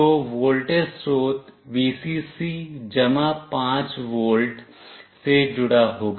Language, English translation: Hindi, So, the voltage source Vcc will be connected to +5 volt